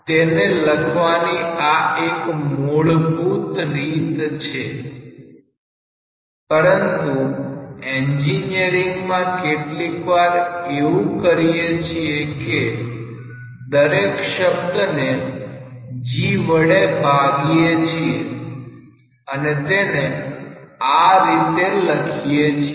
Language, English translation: Gujarati, This is one standard way of writing it, but in engineering sometimes what we do, we divide all the terms by g and write it in this form